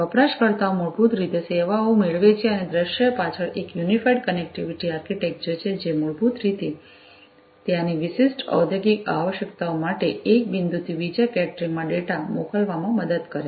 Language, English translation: Gujarati, Users basically get the services and behind the scene there is an unified connectivity architecture, that basically helps in sending data from one point to another catering to the specific industrial requirements that are there